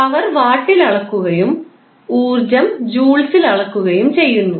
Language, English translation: Malayalam, Power is measured in watts and w that is the energy measured in joules